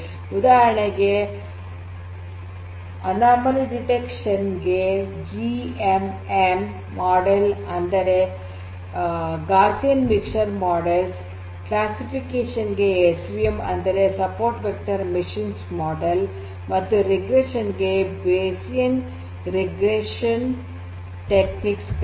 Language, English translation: Kannada, For example, for anomaly detection GMM models are there – Gaussian Mixture Models, for classification SVM or Support Vector Machines are there, for digression Bayesian regression techniques are there